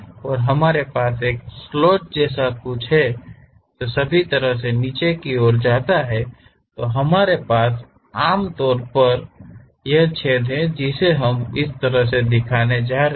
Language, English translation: Hindi, And, we have something like a slot which is going all the way down, we are having that and we have this hole which we are going to show it in this way